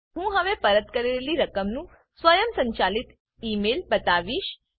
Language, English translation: Gujarati, I will now show an Automated Email of refund